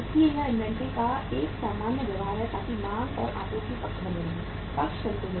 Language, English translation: Hindi, So this is a normal behaviour of inventory so that demand and supply side remains sides remain balanced